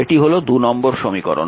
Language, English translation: Bengali, This is your equation 2